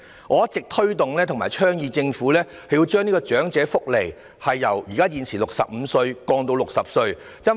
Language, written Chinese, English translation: Cantonese, 我一直推動和倡議，政府應將長者福利的受惠年齡門檻由現時的65歲下調至60歲。, I have all along promoted and advocated that the Government should lower the age threshold for elderly welfare from the current 65 to 60